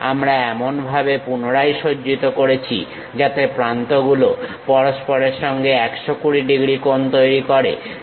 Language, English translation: Bengali, We lift it up in such a way that, these angles makes 120 degrees with each other